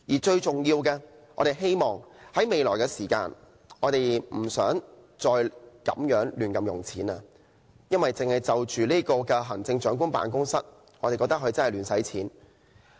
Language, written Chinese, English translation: Cantonese, 最重要的是，我們希望政府未來不再亂花公帑，因為我覺得行政長官辦公室真的在亂花公帑。, Most importantly I hope the Government can refrain from squandering public coffers in the future because I really think that the Chief Executives Office is squandering public coffers